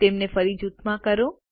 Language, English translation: Gujarati, Lets group them again